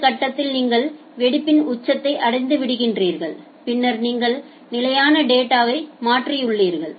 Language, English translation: Tamil, And at this point you have reached at the peak of the burst and then you have transferred the data at the constant data